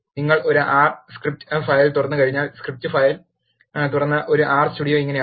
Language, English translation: Malayalam, Once you open an R script file, this is how an R Studio with the script file open looks like